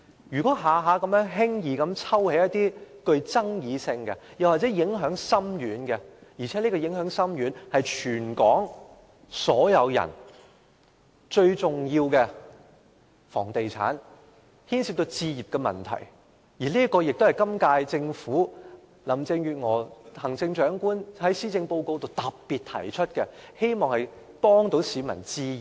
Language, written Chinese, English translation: Cantonese, 如果每次都輕易抽起具爭議性或影響深遠的法案，令全港市民最關注的房地產和置業問題......行政長官林鄭月娥在施政報告中亦特別提到，希望協助市民置業。, If it easily withdraws a controversial or far - reaching bill the property and home ownership issues that all Hong Kong people are most concerned about Chief Executive Carrie LAM particularly mentioned in her policy address that she would like to help the public buy their homes